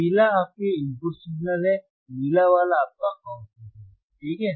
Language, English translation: Hindi, The yellow one is your input signal, blue one is your output ok